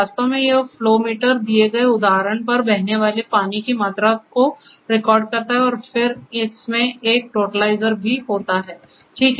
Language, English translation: Hindi, So, actually this flow meter essentially records the quantity of water flowing at a given instance and then, it has a totalizer also